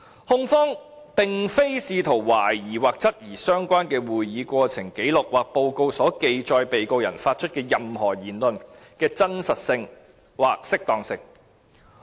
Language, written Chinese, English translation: Cantonese, "控方並非試圖懷疑或質疑相關的會議過程紀錄或報告所記錄被告人發出的任何言論的真實性或適當性。, The Prosecution is not seeking to question or challenge the veracity or propriety of anything said by the Defendant as recorded in the relevant records of proceedings or reports